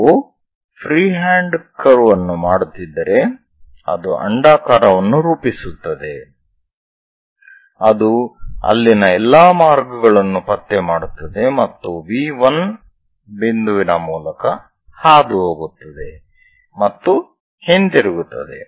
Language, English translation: Kannada, If we are making a freehand curve, it forms an ellipse which tracks all the way there and again pass through V 1 point and comes back